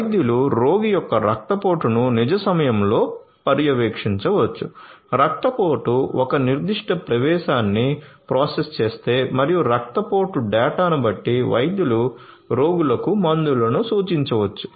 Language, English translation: Telugu, Doctors can monitor the patient’s blood pressure in real time; can get alerts if the blood pressure process a particular threshold and doctors can depending on the blood pressure data, the doctors can prescribe medicines to the patients